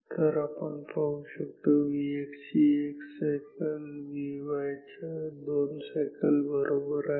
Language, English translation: Marathi, So, we see that 1 cycle of V x is same as 2 cycles of V y